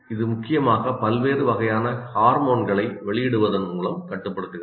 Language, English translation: Tamil, It controls mainly by releasing of a variety of hormones